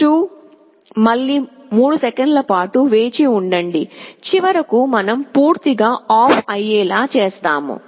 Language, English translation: Telugu, 2 wait for 3 seconds, and finally we turn OFF completely